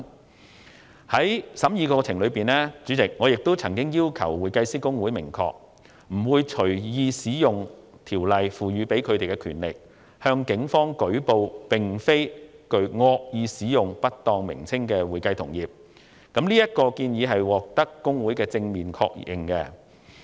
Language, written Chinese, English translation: Cantonese, 主席，在審議《條例草案》的過程中，我曾要求公會明確表明，不會隨意使用《條例草案》賦予的權力，向警方舉報並無誤導意圖而使用了不當稱謂的會計同業，這項建議獲得公會的正面確認。, President during the deliberation of the Bill we asked HKICPA to affirm that it would not arbitrarily use the power conferred by the Bill to report to the Police against accounting practitioners who used improper descriptions without any intention to mislead others . This suggestion has been endorsed by HKICPA